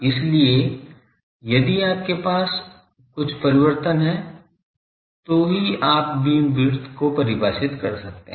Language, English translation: Hindi, So, if you have some variation, then only you can define beam width